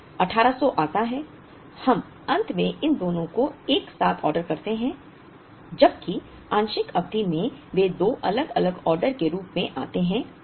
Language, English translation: Hindi, Then comes 1800, we end up ordering these two together whereas, in part period balancing they came as two different orders